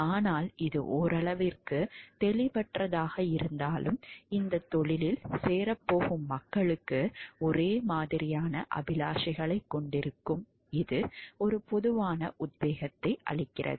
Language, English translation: Tamil, But though it is vague to some extent, but it gives a general inspiration for the people to have who will be joining this profession to have similar aspirations